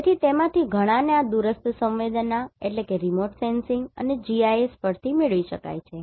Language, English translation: Gujarati, So, many of them can be derived from this remote sensing and GIS